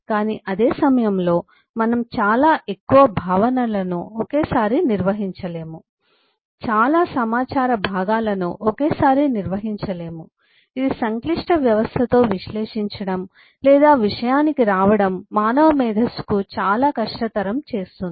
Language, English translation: Telugu, but at the same time we cannot handle too many concepts together, too many junks of information together, which makes it extremely difficult for human mind to be able to analyze eh or come to terms with the complex system and eh